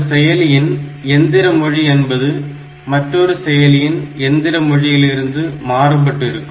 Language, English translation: Tamil, Otherwise the machine language of one processor is different from the machine language of another, and assembly language is also different